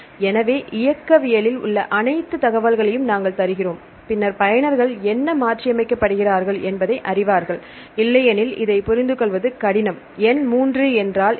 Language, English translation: Tamil, So, we give all the information in the ontology, then the users know what is mutated to what otherwise this is difficult to understand and what is number 3